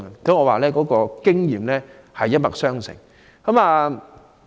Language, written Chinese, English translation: Cantonese, 因此，我認為經驗是一脈相承的。, I think experience can only be passed from generation to generation over the years